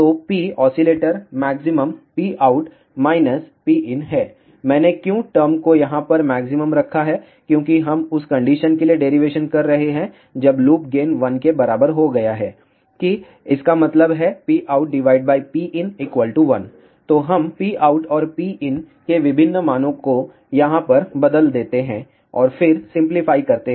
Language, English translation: Hindi, So, P oscillator maximum is P out minus P in why I have put the term maximum over here, because we are doing the derivation for the situation when loop gain has become equal to 1; that means, rate of change of P out with respect to P in has become equal to 1